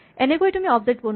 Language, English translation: Assamese, This is how you create objects